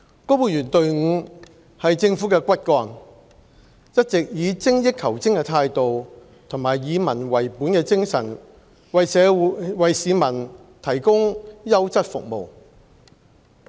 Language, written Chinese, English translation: Cantonese, 公務員隊伍是政府的骨幹，一直以精益求精的態度和以民為本的精神為市民提供優質服務。, The civil service which is the Governments backbone has all along been striving to continuously improve the quality of services we provide for the people while adhering to the people - oriented principle